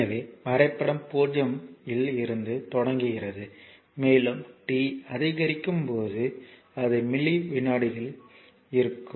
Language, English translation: Tamil, So, graph starts from 0 and right and when your when t is increasing it is in millisecond